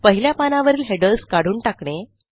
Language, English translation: Marathi, How to remove headers from the first page